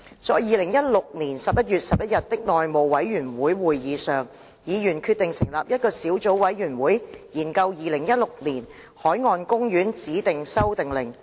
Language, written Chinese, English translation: Cantonese, 在2016年11月11日的內務委員會會議上，議員決定成立一個小組委員會，研究《2016年海岸公園令》。, It was decided at the House Committee meeting on 11 November 2016 that a subcommittee be formed to study the Marine Parks Designation Amendment Order 2016